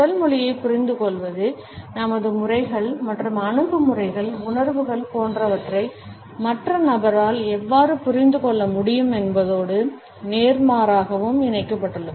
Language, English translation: Tamil, And the understanding of body language was linked as how our modes and attitudes, feelings etcetera, can be grasped by the other person and vice versa